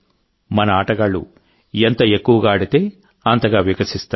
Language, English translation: Telugu, The more our sportspersons play, the more they'll bloom